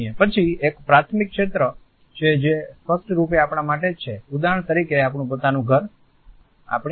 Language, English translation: Gujarati, Then there is a primary territory which obviously, belongs to us only for example, our own home, our car also